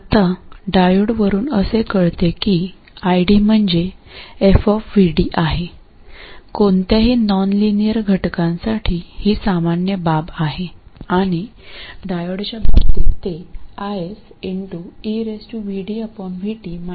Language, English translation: Marathi, Now, the diode itself tells you that ID is F of VD, this is the general case for any nonlinear element and in case of the diode it is i